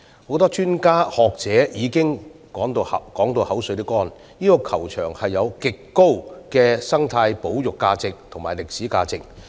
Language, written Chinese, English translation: Cantonese, 很多專家和學者已不斷重申，這個球場具極高生態保育價值和歷史價值。, A number of experts and scholars have repeatedly reiterated the extremely high ecological and conservation values as well as historic significance of the golf course